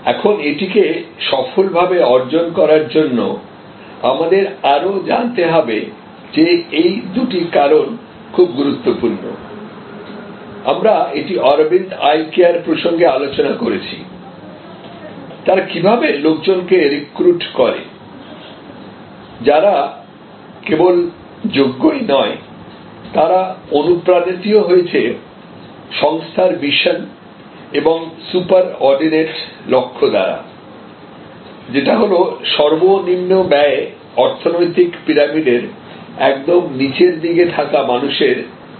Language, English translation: Bengali, Now, to achieve this successfully, we have to also know that these two factors are very important, we discuss this in the context of the Aravind Eye Care, that how they actually recruit people, who are not only competent, but also are inspired by the mission by the super ordinate goal of the organization, which is to serve people at the bottom of the economic pyramid at the lowest possible cost